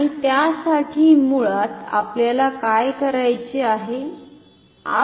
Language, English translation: Marathi, And, for that basically what we have to do